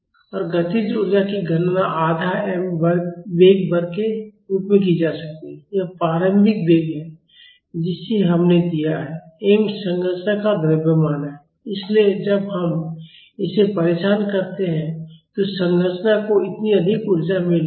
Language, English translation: Hindi, And kinetic energy can be calculated as half m velocity square, this is the initial velocity we gave m is the mass of the structure; so, when we disturb it the structure is getting this much of energy